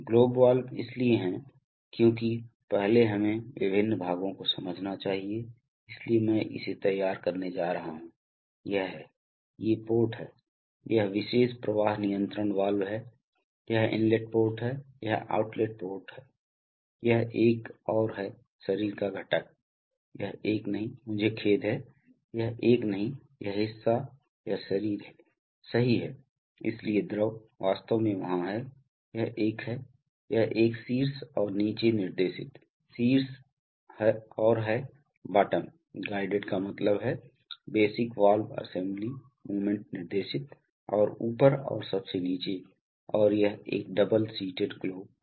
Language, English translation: Hindi, Globe valves are so, before we must understand the various parts, so I am going to hatch it, so this is the, these are the ports, this particular flow control valve, this is inlet port, this is outlet port, this is another component of the body, not this one, I am sorry, not this one, this part, this is the body, right, so the fluid, in fact there are, this is a, this is a top and bottom guided, top and bottom guided means the basic valve assembly movement is guided and in the top and at the bottom and it is a double seated globe valve